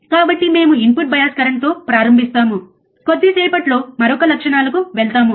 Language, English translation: Telugu, So, we will start with input bias current we will go to another characteristics in a short while